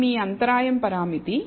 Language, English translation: Telugu, This is your intercept parameter